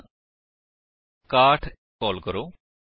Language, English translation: Punjabi, So let us pass 61